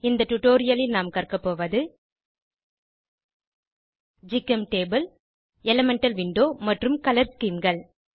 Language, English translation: Tamil, In this tutorial, we will learn about * GChemTable * Elemental window and Color schemes